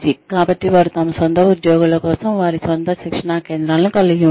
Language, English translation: Telugu, So they have their own training centers, for their own employees